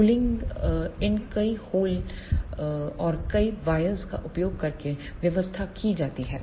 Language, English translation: Hindi, The cooling arrangements are made by using these multiple holes and the multiple number of wires